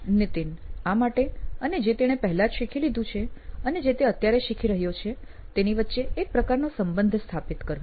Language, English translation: Gujarati, To this and creating a kind of relationship with what he has already learned what he is presently learning